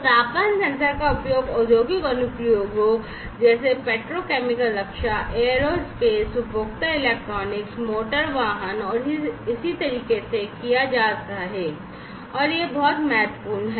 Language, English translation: Hindi, So, temperature sensors are used in industrial applications such as petrochemical, defense, aerospace, consumer electronics, automotive, and so on, and these are very important